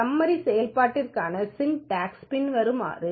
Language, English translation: Tamil, The syntax for this summary function is as follows